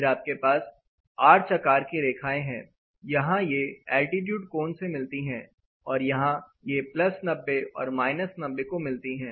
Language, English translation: Hindi, Then you have this arch line; they coincide with the altitude angle and here it coincides with the 90 plus 90 and minus 90